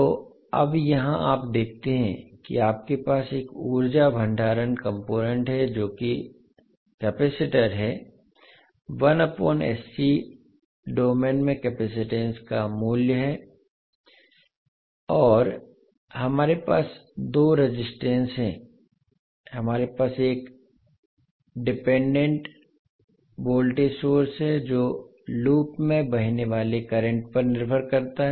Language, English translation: Hindi, So now here you see that you have one energy storage component that is capacitor, 1 by sC is the value of the capacitance in s domain and we have 2 resistances we have one dependent voltage source which depends upon the current flowing in the loop